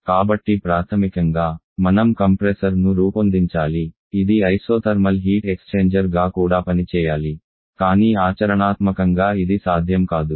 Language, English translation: Telugu, So basically have to design a compressor which will also act as an isothermal heat exchanger which is not possible in practice